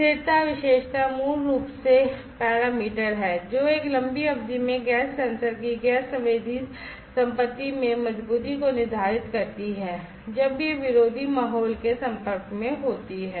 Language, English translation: Hindi, Stability characteristic is basically the parameter, which determines the robustness in the gas sensing property of a gas sensor in a long duration of time, when it is exposed to hostile ambience